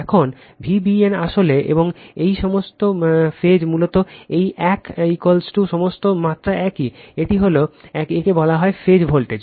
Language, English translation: Bengali, Now, V b n actually and all these phase basically this one is equal to V p all magnitudes are same, this is V p this is called phase voltage right